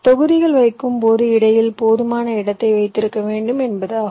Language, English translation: Tamil, it means that when you place the blocks you should keep sufficient space in between